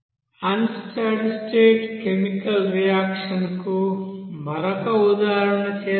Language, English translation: Telugu, Let us do another example of unsteady state chemical reaction